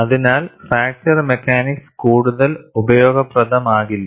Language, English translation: Malayalam, So, there fracture mechanics would not be of much use